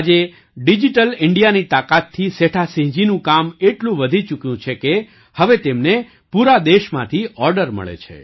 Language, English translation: Gujarati, Today, with the power of Digital India, the work of Setha Singh ji has increased so much, that now he gets orders from all over the country